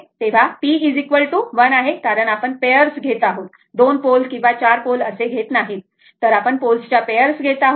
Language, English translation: Marathi, So, it is p is equal to 1 because we are taking of a pair, not 2, 2 pole or 4 pole